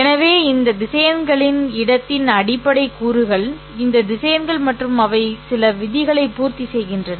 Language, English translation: Tamil, So the basic elements of this vector space are all these vectors and they satisfy certain rules